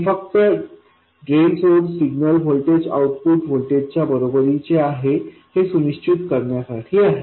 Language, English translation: Marathi, This is just to make sure that the drain source signal voltage equals the output voltage